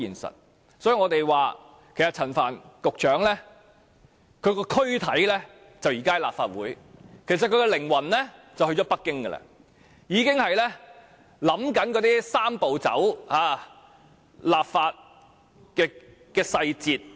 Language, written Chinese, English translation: Cantonese, 所以，我們說，雖然陳帆局長的軀體在立法會，但其靈魂其實已經去了北京，正在思考"三步走"的立法細節。, That is why we say that although Secretary Frank CHAN is physically present in the Legislative Council his mind has already gone to Beijing pondering on the details of legislating for the Three - step Process